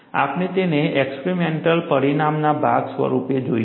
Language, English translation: Gujarati, We would see that as part of the experimental result